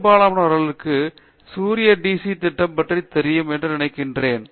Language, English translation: Tamil, And, I think many of you might know the solar DC project